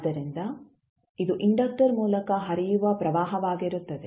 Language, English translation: Kannada, So, this would be the current which would be flowing through the inductor